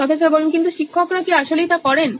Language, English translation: Bengali, But do teachers actually do that